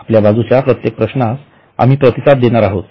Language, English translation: Marathi, We will be responding to each and every question from your side